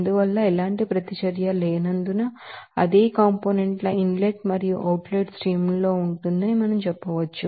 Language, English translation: Telugu, So, we can say that since there is no reaction, same component will be in the inlet and outlet streams